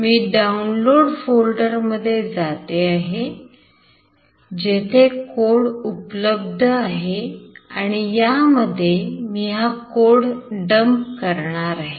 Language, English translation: Marathi, I am going to the download folder, where the code is available, which I will dump it in this